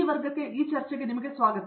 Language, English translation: Kannada, So welcome to this class, discussion